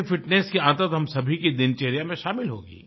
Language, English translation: Hindi, This will inculcate the habit of fitness in our daily routine